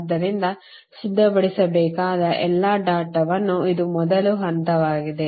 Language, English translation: Kannada, so this is the first step that all the data you have to prepare